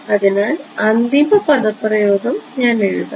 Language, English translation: Malayalam, So, I will write down the final expression